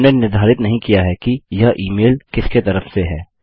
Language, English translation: Hindi, We havent determined who the email is from